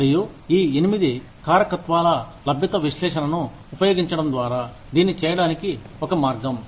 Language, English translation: Telugu, And, one way of doing it is, by using this, 8 factor availability analysis